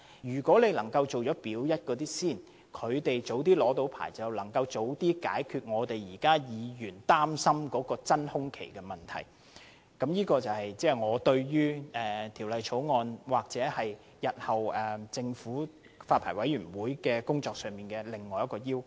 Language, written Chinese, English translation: Cantonese, 如果當局能夠先檢視"表一"的龕場，讓它們早日獲發牌照，便可早些解決議員現時所擔心的真空期問題；這亦是我對《條例草案》，或日後發牌委員會的工作所提出的另一個要求。, If the authorities can review the Part A columbaria first so that they can be issued with a licence in the first instance Members concern about the vacuum period can be resolved earlier . That is my expectation for the Bill or the work of the Licensing Board